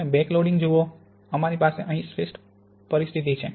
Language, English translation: Gujarati, You see the backloading; we have the best situation here